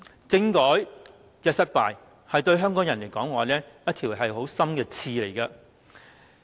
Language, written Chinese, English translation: Cantonese, 政改失敗，對香港人來說是一條很深的刺。, To Hongkongers the failure of the constitutional reform to come to fruition is a thorn very deep in their side